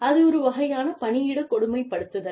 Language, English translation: Tamil, And, that is a form of workplace bullying